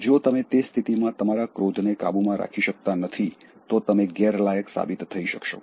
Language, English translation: Gujarati, If you are not able to control your anger in that situation, you will be disqualified